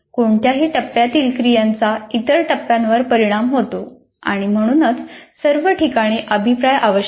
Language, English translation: Marathi, Activities any phase have impact on all other phases and hence the presence of feedbacks at all places